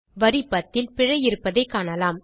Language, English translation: Tamil, We see an error at line no 10